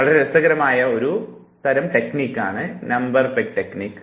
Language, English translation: Malayalam, So, this is called Number Peg Technique